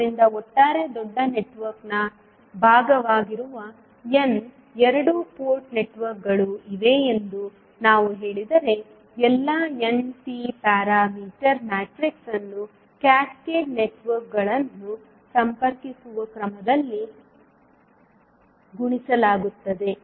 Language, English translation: Kannada, So, if we say there are n two port networks which are part of the overall bigger network, all n T parameter matrices would be multiplied in that particular order in which the cascaded networks are connected